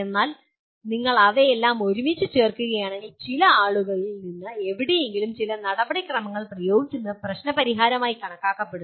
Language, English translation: Malayalam, But if you put all of them together, anywhere from some people mere application of some procedure is considered problem solving